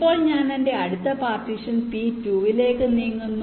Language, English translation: Malayalam, now i move to my next partition, p two